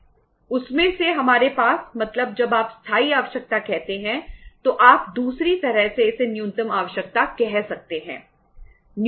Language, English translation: Hindi, Out of that we have means when you say the permanent requirement is other way around you can call it as the minimum requirement